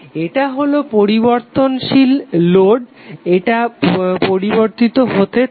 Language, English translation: Bengali, So this is the variable load it will keep on changing